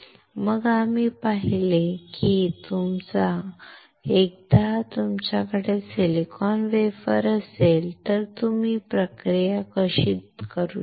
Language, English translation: Marathi, Then we have seen that once you have the silicon wafer how can you do a process